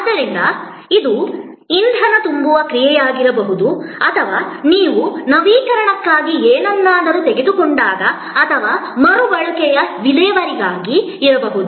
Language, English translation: Kannada, So, this could be the act of refueling or when you take something for refurbishing or maybe for disposal of a recycling